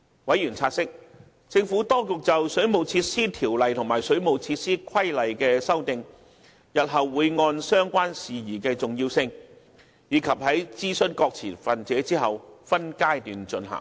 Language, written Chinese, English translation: Cantonese, 委員察悉，政府當局就《水務設施條例》及《水務設施規例》提出的修訂，日後會按相關事宜的重要性及在諮詢各持份者後分階段進行。, Members noted that the amendments to WWO and WWR as moved by the Administration would be prioritized and carried out in phases in future after consultation with all stakeholders